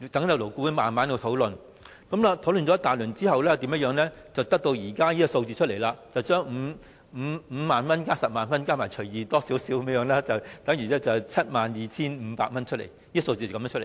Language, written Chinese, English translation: Cantonese, 勞顧會慢慢討論，經過一番討論後，才得出現時稍為增加了的金額，將5萬元加10萬元除以 2， 等於 72,500 元，這個數目就是這樣計算出來的。, LAB procrastinated by proceeding slowly with the discussion and the result of the discussion was to slightly increase the amount by adding 50,000 and 100,000 and dividing the sum by two . That is how the amount of 72,500 is arrived at